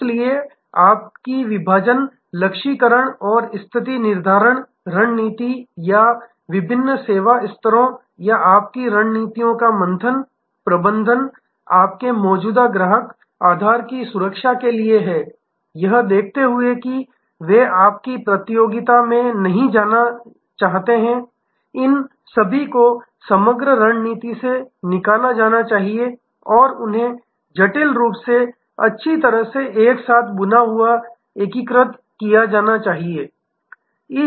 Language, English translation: Hindi, So, your segmentation targeting and positioning strategy or the tier of different service levels or churn management of your strategies is for protecting your existing customer base seeing that they do not go away to your competition all these must be derived out of the overall strategy and they must be intricately integrated well oven together